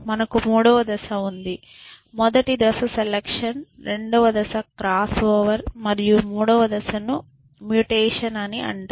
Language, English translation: Telugu, We have a third step so, the first step is selection, the second step is cross over, and the third step is called mutation